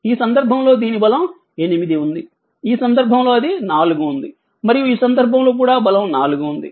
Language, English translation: Telugu, In this case it is strength is 8, in this case it is strength is 4, in this case also it is strength is 4, right